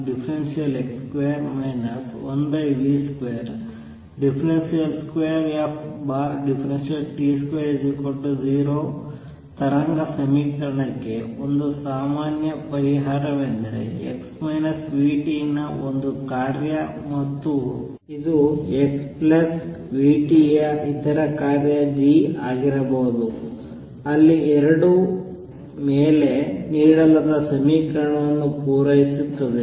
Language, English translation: Kannada, So, a general solution for the wave equation d 2 f by d x square minus 1 over v square d 2 f by d t square is equals to 0 is a function of x minus v t and could be some other function g of x plus v t where both satisfy the equation given above